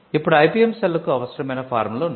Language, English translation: Telugu, Now, there are forms that the IPM cell will need